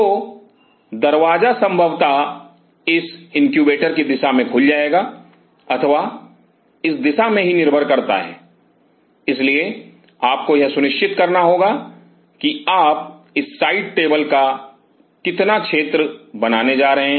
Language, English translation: Hindi, So, the door will possibly either will open in this direction of this incubator or in this direction depending on, so you have to ensure that how much area of this side tables you are going to make